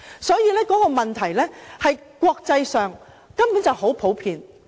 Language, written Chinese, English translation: Cantonese, 所以，這做法在國際上根本很普遍。, This practice is actually very common around the world